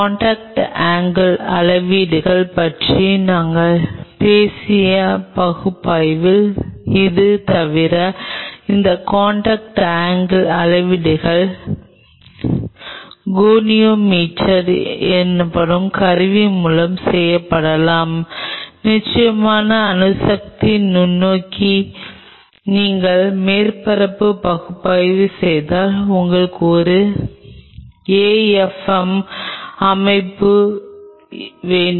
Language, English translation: Tamil, Apart from it when we talked about in the analysis we talked about contact angle measurements, this contact angle measurements could be done with the instrument called goniometer and of course, atomic force microscopy you need an afm set up if you do the surface analysis